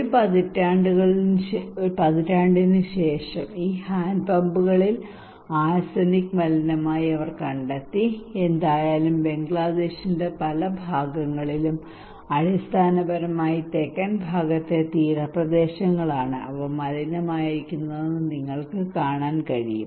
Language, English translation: Malayalam, Immediately after one decade, they found these hand pumps are contaminated by arsenic and anyway so in many parts of Bangladesh are basically the coastal areas in the southern part as you can see in the map they are contaminated